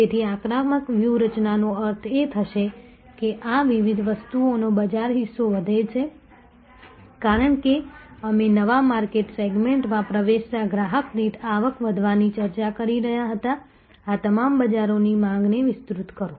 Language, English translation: Gujarati, So, offensive strategy will mean this different things grow market share as we were discussing grow revenue per customer enter new market segment expand the market demand all of these